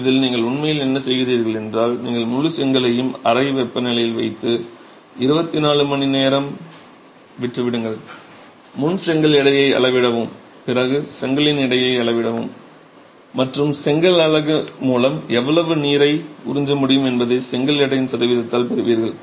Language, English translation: Tamil, In this what you really do is you submerge the entire brick at room temperature, leave it for 24 hours, measure the weight of the brick before, measure the weight of the brick after and you get by percentage by weight of the brick how much water can be absorbed by the brick unit